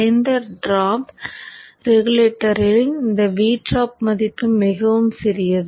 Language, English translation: Tamil, So in the low drop regulator this V drop value is very small